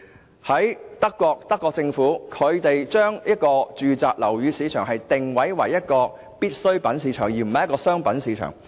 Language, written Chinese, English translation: Cantonese, 舉例而言，德國政府把住宅樓宇定位為必需品市場，而不是商品市場。, For example in Germany the Government regards residential properties as necessities rather than commercial commodities